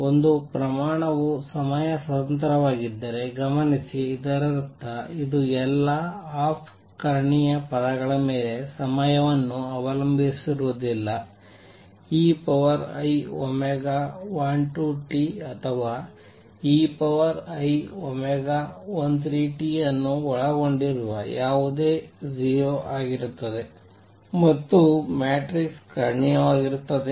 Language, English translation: Kannada, Notice that if a quantity is time independent; that means, it does not depend on time all the off diagonal terms anything containing e raise to i omega 12 t, omega i 12 or 13 t would be 0 and the matrix would be diagonal